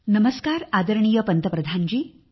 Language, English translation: Marathi, Namaskar, Respected Prime Minister